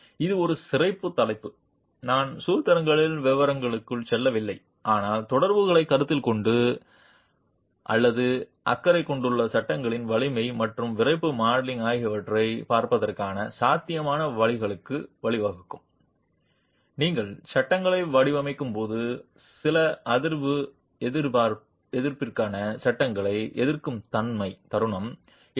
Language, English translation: Tamil, So, this is a special topic I have not gone into details of formulations but is intended to give you an idea of what considering the interaction or not considering the interaction can lead to and a possible ways of looking at strength and stiffness modeling of the panels themselves when you are designing, moment resisting frames for seismic resistance